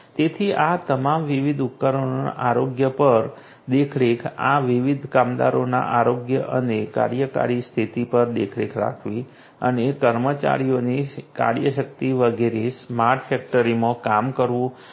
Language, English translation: Gujarati, So, all of these so monitoring the health of the different devices, monitoring the health and the working condition of this different workers and the work force the personnel so on, working in a smart factory all of these things are going to be done